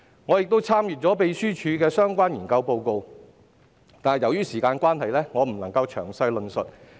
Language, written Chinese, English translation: Cantonese, 我亦已參閱秘書處的相關研究報告，由於時間關係，我未能詳細論述。, I have also referred to the relevant research report prepared by the Secretariat . Due to time constraints I am not able to go into the details